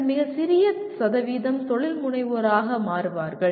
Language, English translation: Tamil, And then a very small percentage will become entrepreneurs